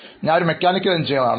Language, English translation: Malayalam, I am a mechanical engineer